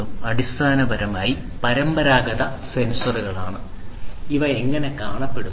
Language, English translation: Malayalam, This is basically these traditional sensors, how they look like